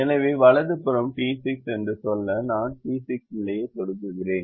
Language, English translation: Tamil, so i just click the d six position to say that the right hand side is d six